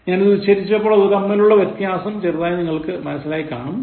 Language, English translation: Malayalam, Now, when I pronounce, you can slightly understand the difference